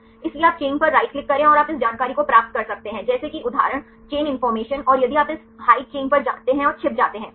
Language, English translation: Hindi, So, you right click on the chain right and you can get this information like for example, chain information and if you go to this hide right the chain and hide